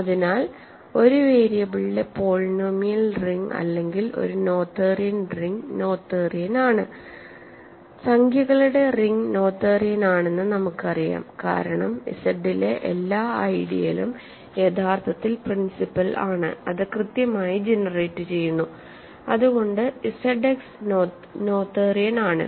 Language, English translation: Malayalam, So, the polynomial ring in one variable or a noetherian ring is also noetherian, we certainly know that the ring of integers is noetherian because every ideal in Z is actually principal, finitely generated so, Z X is noetherian